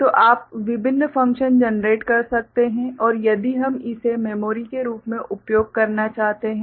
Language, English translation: Hindi, So, you can generate different functions and if we wish to use this as a memory ok